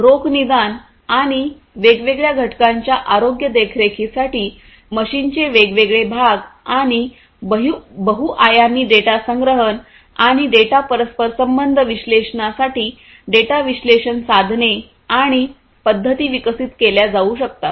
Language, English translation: Marathi, So, data analysis tools and methodologies can be developed for the prognostics and health monitoring of different components, different parts of the machines, and for multi dimensional data collection, and data correlation analysis